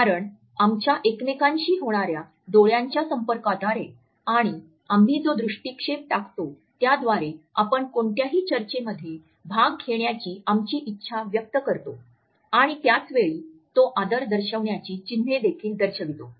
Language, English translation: Marathi, Because it is through our mutual eye contact and the way we manage our gaze that, we can indicate our awareness our willingness to participate in any discussion etcetera and at the same time it also signifies a particular sign of respect